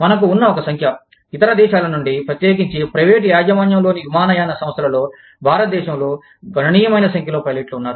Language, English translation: Telugu, We have a number, a significant number of pilots, from other countries, in the, especially in the, privately owned airlines, in India